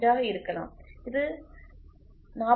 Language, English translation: Tamil, 01 this can be 4